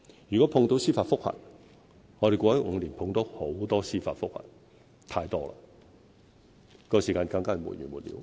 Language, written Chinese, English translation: Cantonese, 如果遇上司法覆核，我們過去5年遇上很多司法覆核，太多了，時間上就更是沒完沒了。, If a judicial review has been lodged―there are many such cases in the past five years too many indeed―the time will drag on and on